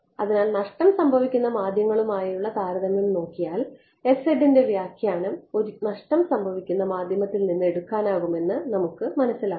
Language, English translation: Malayalam, So, after looking at the comparison with lossy media we find out that the interpretation of s z can be taken from that of a lossy media it is as though